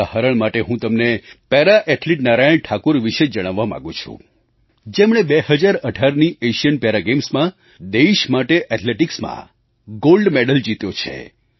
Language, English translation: Gujarati, To give you an example, I would like to mention about Para Athlete Narayan Thakur, who won a gold medal for the country in the 2018 Para Asian Games